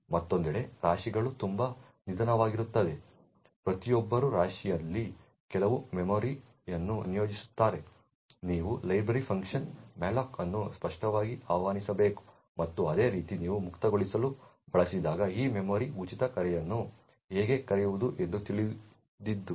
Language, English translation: Kannada, On the other hand heaps are extremely slow every one allocate some memory in the heap you have to explicitly invoke the library function malloc and similarly when you want to free that memory knew how to invoke the free call